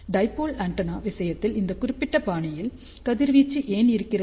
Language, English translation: Tamil, Why, in case of a dipole antenna, it is radiating in this particular fashion